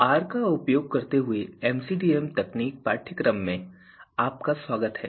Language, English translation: Hindi, Welcome to the course MCDM techniques using R